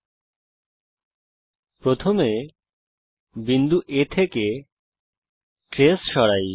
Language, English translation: Bengali, First lets remove the trace from point A